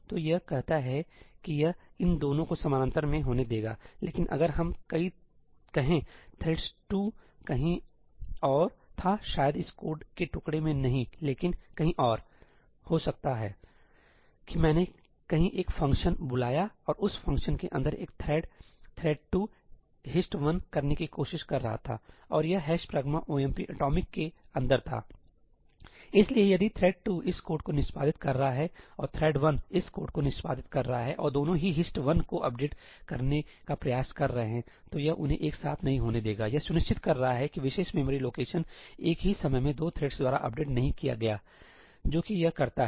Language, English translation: Hindi, So, it says that it will allow both of these to happen in parallel, but if, let us say, thread 2 was somewhere else, maybe not in this piece of code, but somewhere else; maybe I called a function somewhere and inside that function a thread thread 2 was trying to do HIST 1 minus minus , and this was inside ëhash pragma omp atomicí; so, if thread 2 is executing this code and thread 1 is executing this code and both of them are trying to update HIST 1, it will not allow them to happen together; this is ensuring that that particular memory location is not updated by 2 threads at the same time, that is what it does